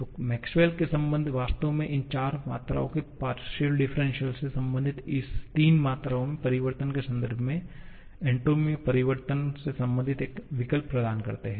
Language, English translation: Hindi, So, the Maxwell’s relations actually serve or provide an option to relate the change in entropy in terms of the changes in these three quantities by relating the partial derivatives of these 3 quantities